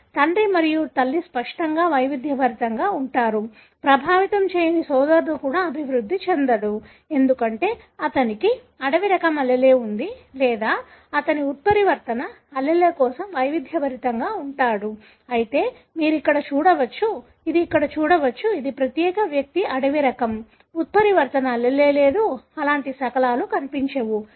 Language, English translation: Telugu, So, father and mother obviously are heterozygous, even the unaffected brother, who is not showing symptoms, will not develop, because he is having a wild type allele or he is heterozygous for the mutant allele as well, whereas you can see here, this particular individual is a wild type, not having the mutant allele at all, do not show any such fragments